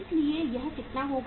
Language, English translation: Hindi, So this will be how much